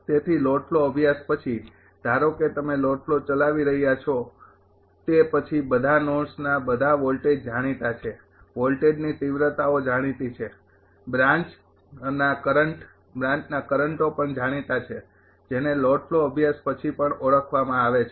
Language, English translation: Gujarati, So, after the load flow study suppose you are running the load flow then all the load hold all the voltages of all the nodes are known, voltage magnitudes are known, branch currents also are branch currents are also known after the load flow studies right